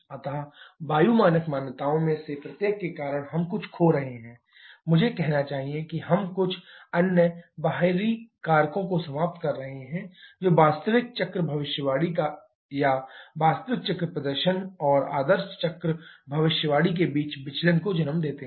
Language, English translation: Hindi, So, because of each of the air standard assumptions we are losing something I should say we are eliminating some other external factors which lead to the deviation between the actual cycle prediction or actual cycle performance and ideal cycle prediction